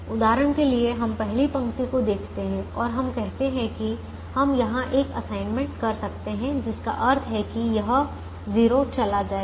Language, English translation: Hindi, for example, we look at the first row and we say that we can make an assignment here, which means this zero will go